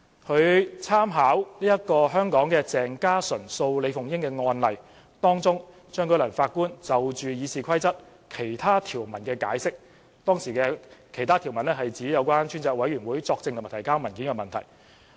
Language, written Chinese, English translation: Cantonese, 他參考香港鄭家純及另一人訴李鳳英議員及其他人士一案中，張舉能法官就《議事規則》其他條文的解釋，其他條文涉及向專責委員會作證和提交文件的問題。, He made reference to CHEUNG Js explanation on other rules of RoP which concern testifying to and presenting papers to a select committee in the case of CHENG Kar Shun Anor v Honourable LI Fung - ying Ors of Hong Kong